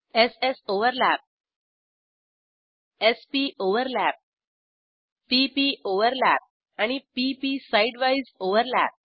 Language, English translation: Marathi, s soverlap, s poverlap, p poverlap and p p side wise overlap